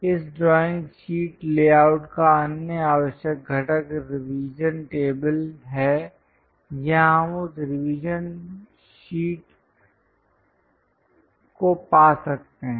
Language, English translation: Hindi, The other essential component of this drawing sheet layout is revision table, here we can find that revision sheet